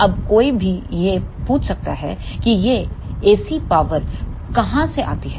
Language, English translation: Hindi, Now, one may ask from where this AC power comes